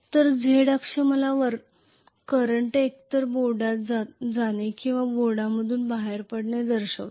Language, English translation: Marathi, So Z axis will show me the current either going into the board or coming out of the board